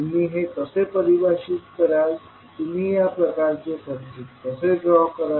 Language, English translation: Marathi, How you will define, how you will draw this kind of circuit